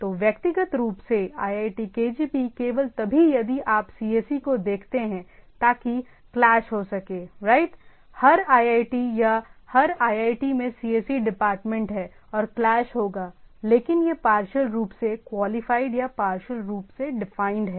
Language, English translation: Hindi, So, individually iitkgp only if you look at the cse, so that may clash right, every iit or every iit has a cse department and their domain names have cse and it will clash, but that is partially qualified or partially defined